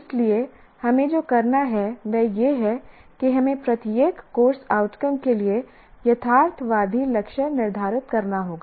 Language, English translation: Hindi, So what we have to do is we have to set up a realistic target for each course outcome